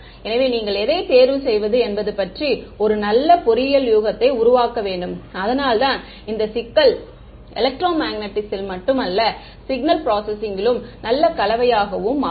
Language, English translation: Tamil, So, you have to make a very good engineering guess about which one to choose, which is why this problem becomes the very good mix of not just electromagnetics, but also signal processing ok